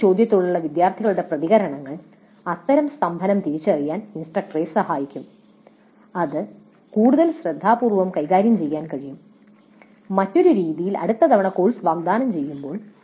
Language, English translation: Malayalam, So the responses of students to these questions would help the instructor in identifying such bottlenecks and that can be treated more carefully in a different fashion probably next time the course is offered